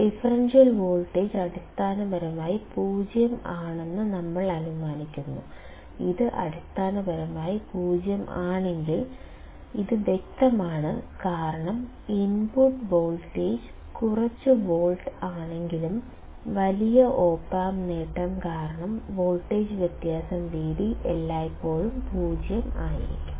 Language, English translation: Malayalam, We assume that the differential voltage is essentially 0; if this is essentially 0, then this is obvious because even if the input voltage is of few volts; due to the large op amp gain the difference of voltage V d will always be 0